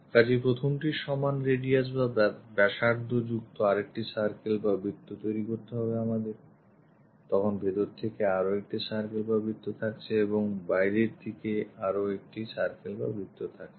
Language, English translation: Bengali, So, whatever the radius we have with that first we have to make a circle, then internally there is one more circle and outside also there is one more circle